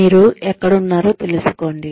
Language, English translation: Telugu, Knowing, where you are